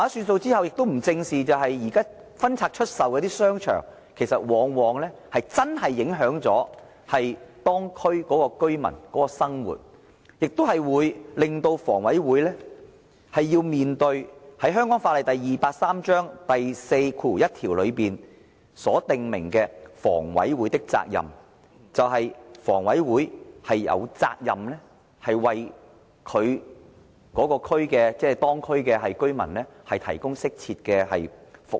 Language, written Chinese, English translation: Cantonese, 出售後，沒有正視現在分拆出售的商場往往影響當區居民的生活，亦令房委會須面對香港法例第283章第41條所訂明的房委會的責任，就是房委會有責任為當區居民提供適切的服務。, After the sale it has not squarely faced the fact that the present divestment of shopping arcades often affects the living of the local residents . It also obliges HA to face its duty stipulated in section 41 of Cap . 283 Laws of Hong Kong which provides that HA has the duty to secure the provision of appropriate services for local residents